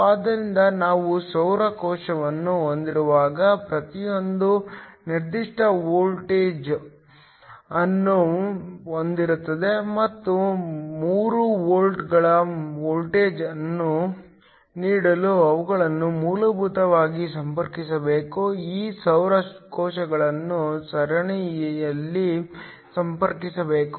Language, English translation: Kannada, So, when we have solar cells each having a particular voltage and they should essentially be connected in order to give the voltage of three volts, these solar cells should be connected in series